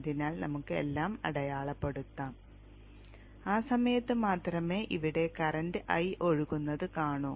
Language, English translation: Malayalam, So let us mark that off and during that only we will see current here, a current eye flowing